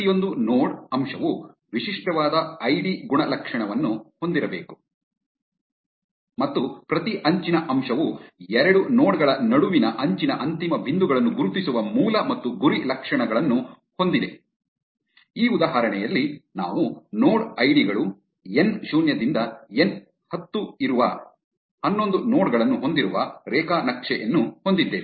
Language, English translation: Kannada, Each node element should have a distinct id attribute and each edge element has source and target attributes that identify the end points of an edge between two nodes, in this example, we have a graph with 11 nodes that node ids n 0 to n 10